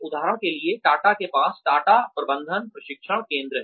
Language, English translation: Hindi, For example, Tata has, Tata management training center